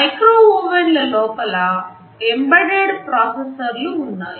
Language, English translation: Telugu, There are embedded processors inside micro ovens also